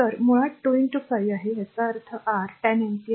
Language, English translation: Marathi, So, is basically 2 into 5; that means, your 10 ampere